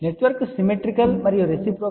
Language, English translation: Telugu, Since the network is symmetrical as well as reciprocal